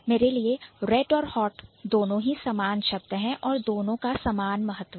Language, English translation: Hindi, For me, both Red and Hot, they do have equal amount of importance